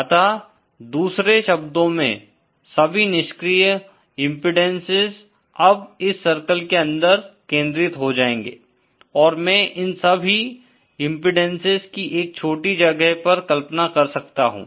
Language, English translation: Hindi, So, in other words, all passive impedances are now concentrated within this circle and I can visualize all these impedances in a small space